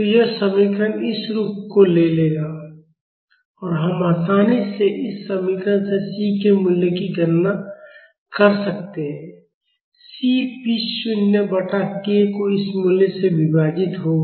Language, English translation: Hindi, So, this equation will take this form and we can easily calculate the value of C from this equation, C will be p naught by k divided by this value